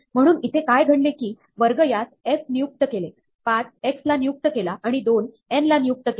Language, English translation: Marathi, So, what is happening here is that, square is being assigned to f, 5 is being assigned to x, and 2 is being assigned to n